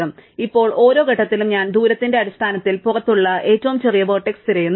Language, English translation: Malayalam, So, now, at every stage I look for the smallest vertex which is outside in terms of the distance